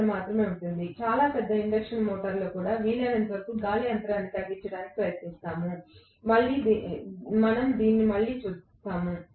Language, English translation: Telugu, So, it will be only a few mm, even in a very big induction motor, we will try to minimize the air gap as much as possible why, we will look at it again